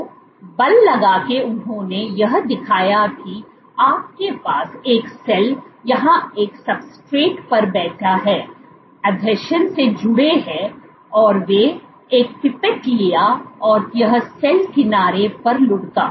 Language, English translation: Hindi, So, you have a cell here sitting on a substrate, connected by adhesions, and he took a pipette rolled on the cell edge